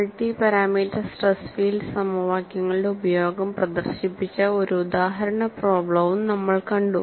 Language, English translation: Malayalam, Then, we moved on to finding out multi parameter displacement field equations